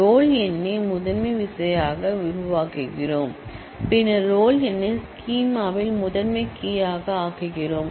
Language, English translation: Tamil, Let us say; we make roll number, the primary key and since, we make roll number the primary key in the schema